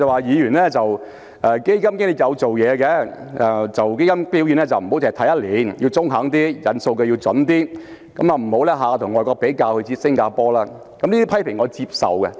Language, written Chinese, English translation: Cantonese, 他說基金經理有做工夫，基金表現不能單看一年，要中肯一點，引用數據要準確一點，不要總是跟外國比較，而他所指的是新加坡。, He said that fund managers had done work that performance of funds cannot be judged by looking at just one year and that we need to hit the mark be more accurate when citing data and refrain from always comparing with a foreign country―what he meant was Singapore